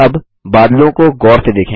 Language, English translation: Hindi, Observe the clouds, now